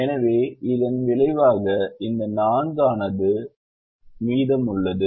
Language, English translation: Tamil, so that resulted in this four remaining as four